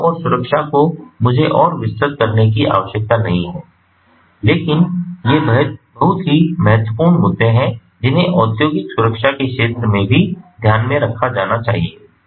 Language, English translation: Hindi, safety and security, likewise i do not need to elaborate further, but are very important issues that also have to be taken into considering industrial safety, you know